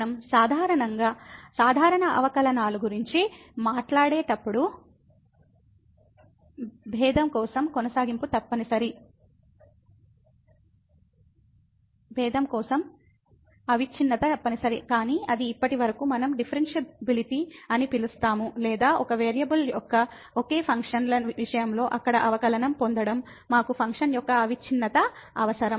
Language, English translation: Telugu, When we talk about the usual derivatives, the continuity is must for the differentiability, but that is so far we called differentiability or getting the derivative there in case of single functions of single variable, we need continuity of the function